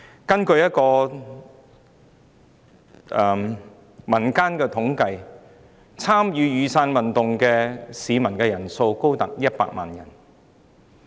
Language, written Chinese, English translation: Cantonese, 根據一項民間統計，參與雨傘運動的市民數目高達100萬人。, According to a non - government statistics exercise the number of people participating in the Umbrella Movement was as high as 1 million